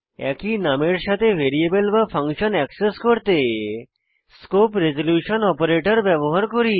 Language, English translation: Bengali, To access the variable or function with the same name we use the scope resolution operator ::